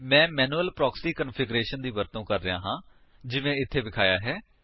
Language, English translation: Punjabi, I am using Manual Proxy Configuration as shown here